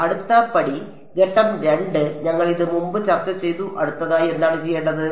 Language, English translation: Malayalam, Next step; step 2 we discuss this previously what do I do next